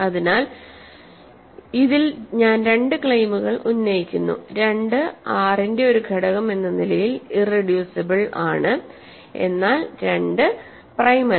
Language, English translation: Malayalam, So, in this I make two claims, 2 as an element of R is irreducible, but 2 is not prime ok